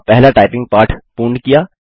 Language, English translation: Hindi, We have learnt our first typing lesson